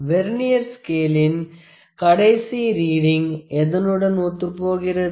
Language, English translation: Tamil, Let us see which Vernier scale reading is coinciding